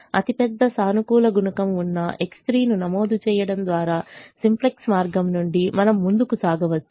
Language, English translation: Telugu, it means we can proceed from the simplex way by entering x three, which has the largest positive coefficient